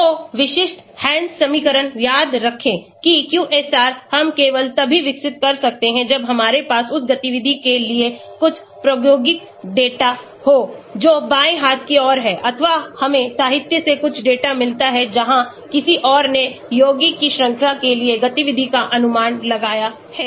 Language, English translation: Hindi, So, typical Hansch equation remember QSAR we can develop only when we have some experimental data for the activity that is the left hand side, or we get some data from literature where someone else have estimated the activity for the series of compound